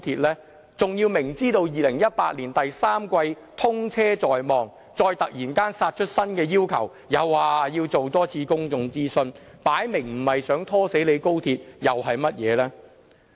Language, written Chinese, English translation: Cantonese, 他們明知道2018年第三季通車在望，再突然殺出新的要求，又說要多進行一次公眾諮詢，很明顯，這不是想拖死高鐵又是甚麼？, This new request for another public consultation comes despite the fact that they are well aware of the scheduled commissioning of the XRL in the third quarter of 2018 . Obviously the request is nothing but seek to scuttle the XRL project